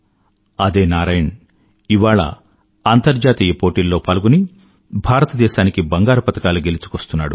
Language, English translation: Telugu, The same Narayan is winning medals for India at International events